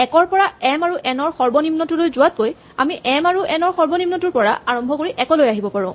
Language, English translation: Assamese, Instead of running from 1 to the minimum of m and n we can start from the minimum of m and n and work backwards to 1